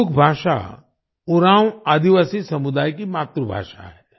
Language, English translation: Hindi, Kudukh language is the mother tongue of the Oraon tribal community